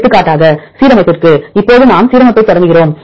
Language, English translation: Tamil, For alignment for example, now we start the alignment